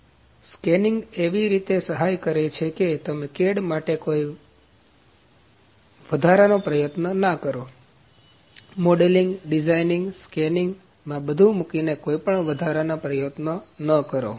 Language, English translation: Gujarati, So, scanning helps in a way that you don’t put any extra efforts for cad, modelling, designing, putting all that in the scanning helps in that